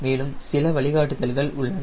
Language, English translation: Tamil, historically there are some guidelines